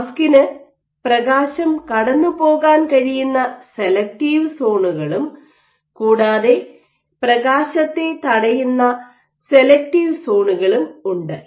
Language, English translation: Malayalam, So, the mask has selective zones through which light might be able to pass and selective zones which blocks of the light